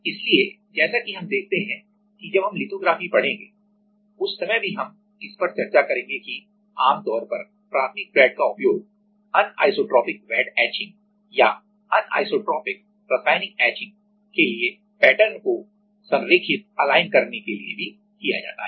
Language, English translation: Hindi, So, as we see while we will see the lithography that time also we will discuss this that usually the primary flat is also used to align the pattern for anisotropic wet etching or anisotropic chemical etching